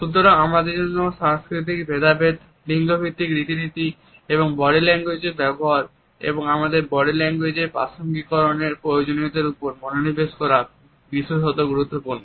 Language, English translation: Bengali, It is therefore, particularly important for us to focus on the cultural differences, the gender stereotypes and the use of body language and the necessity of contextualizing our body language